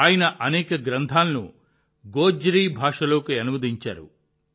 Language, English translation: Telugu, He has translated many books into Gojri language